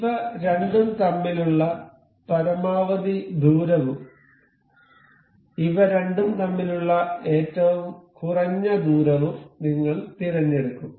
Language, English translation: Malayalam, So, we will select a maximum distance between these two and a minimum distance between these two